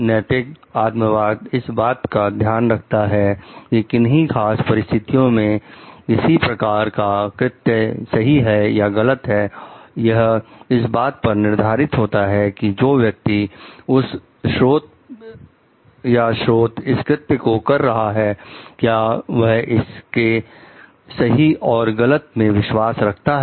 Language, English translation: Hindi, Ethical subjectivism holds that whether a certain act is right or wrong in a given situation is determined by whether the agent performing that act believes that it is right or wrong